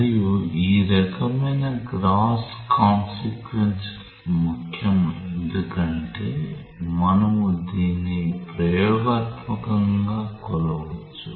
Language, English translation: Telugu, And this kind of gross consequence is important because you can measure it experimentally